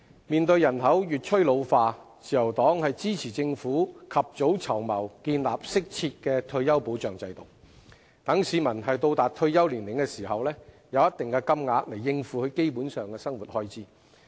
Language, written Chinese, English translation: Cantonese, 面對人口越趨老化，自由黨支持政府及早籌謀，建立適切的退休保障制度，讓市民達退休年齡時能有一定的金額應付基本生活開支。, With the aging population the Liberal Party supports the Government to make early planning on the establishment of an appropriate retirement protection system so that people can receive a certain amount of money to meet their basic living expenses when they reach retirement age